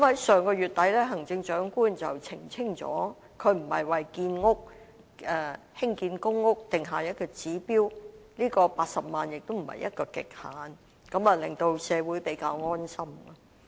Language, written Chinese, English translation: Cantonese, 上月底，行政長官已澄清她並非為興建公屋定下指標 ，80 萬個單位亦非一個極限，令社會感到比較安心。, At the end of last month the Chief Executive clarified that she did not intend to set a target for the production of PRH units and that 800 000 PRH units was not a ceiling at all . This has made the community feel relieved relatively